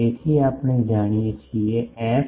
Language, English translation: Gujarati, So, we know f